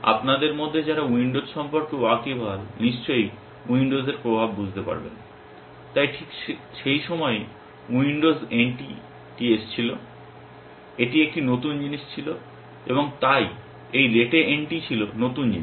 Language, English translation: Bengali, For those of you who are familiar with windows will see the influence of windows, so just around that time windows NT came, it was a new thing, and so, this rete NT was new thing